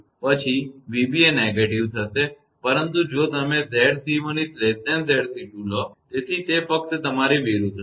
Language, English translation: Gujarati, But if you take; Z c 2 less than Z c 1; so, it will be just your opposite